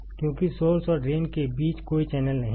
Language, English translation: Hindi, This forms a channel between source and drain